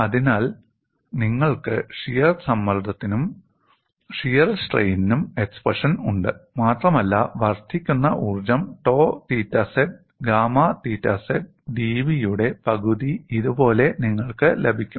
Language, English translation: Malayalam, So, you have the expression for shear stress as well as the shear strain, and you get the incremental energy as this, one half of tau theta z gamma theta z d V